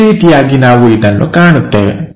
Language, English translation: Kannada, This is the way we will see these things